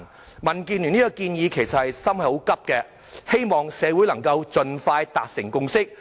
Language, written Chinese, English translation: Cantonese, 就民建聯這項建議，我們其實是很心急的，希望社會能夠盡快達成共識。, In fact for this proposal put forward by DAB we can barely wait for its passage hoping that a consensus may be reached in the community as early as possible